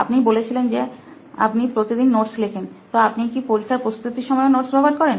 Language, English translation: Bengali, You said you write notes regularly, so do you refer those notes while you prepare for the exam